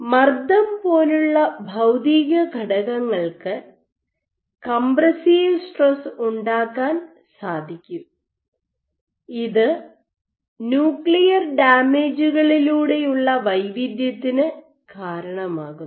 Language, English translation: Malayalam, It is possible that physical factors like pressure, can induce compressive stresses can induce heterogeneity through nuclear damage